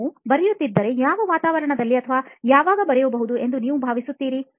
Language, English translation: Kannada, If at all you write, in what environment or when do you think you probably write